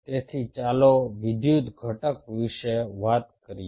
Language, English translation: Gujarati, so lets talk about the electrical component